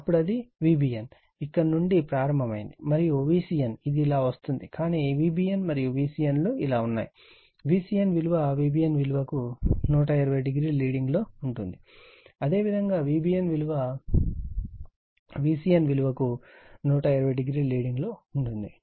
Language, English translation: Telugu, Then it is V b n it starts from here, and V c n of course it will come like this, but V b n and V c n that means, V a n is leading V b n by 120, V b n your leading V c n by 120 degree